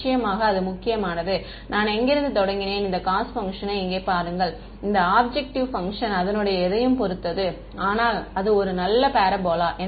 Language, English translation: Tamil, Then of course, it matters where I started from, and look at this cost function over here, this objective function its anything, but a nice parabola right